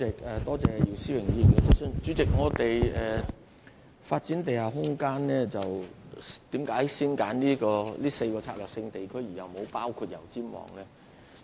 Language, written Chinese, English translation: Cantonese, 為何我們在發展地下空間時要先揀選這4個策略性地區，而沒有包括油尖旺呢？, What are the reasons for selecting the four SUAs instead of Yau Tsim Mong for study on underground space development?